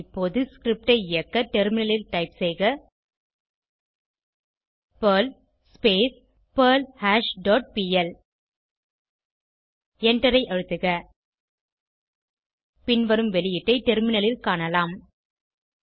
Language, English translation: Tamil, Now, let us execute the script on the terminal by typing perl perlHash dot pl And Press Enter The following output will be seen on the terminal